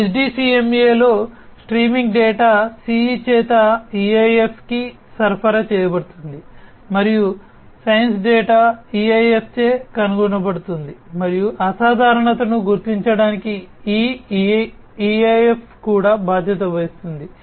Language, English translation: Telugu, In SDCMA, the streaming data is supplied to the EIF by the CE, and the sense data is detected by the EIF, and this EIF is also responsible for detecting the abnormality